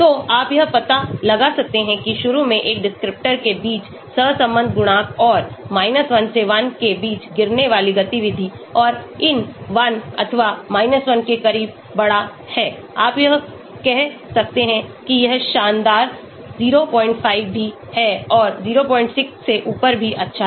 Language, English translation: Hindi, So you can find out whether initially the correlation coefficient between a descriptor and the activity falling between 1 to +1 and larger closer towards these 1 or 1 you can say it is fantastic even 0